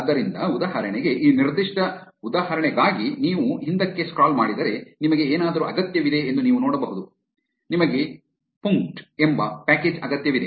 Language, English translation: Kannada, So, for example, for this particular example, if you scroll back, you can see that you needed something called; you needed a package called punkt